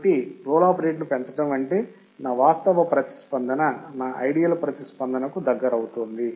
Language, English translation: Telugu, So, increasing the roll off rate means, that my actual response is getting closer to my ideal response